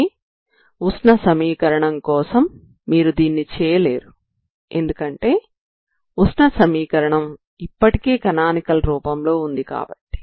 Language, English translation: Telugu, So but for the heat equation you cannot do this is already it is already in that canonical form heat equation, right